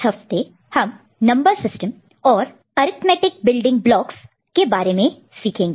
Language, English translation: Hindi, In this week, we shall look at Number System and arithmetic building blocks